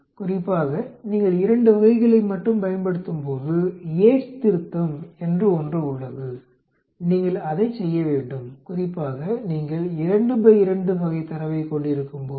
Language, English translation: Tamil, Especially, when you are using only 2 categories, there is something called Yate’s correction you need to perform that, especially when you are having a 2 by 2 type of data